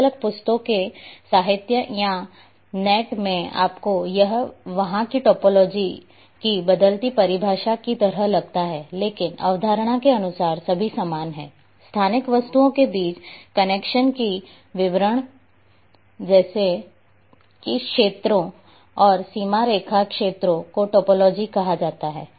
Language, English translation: Hindi, In different books literatures or on net you would find there it’s like varying definition of topology, but the concept wise all are same like details of connections between spatial objects such as information about which areas boundary line segment is called topology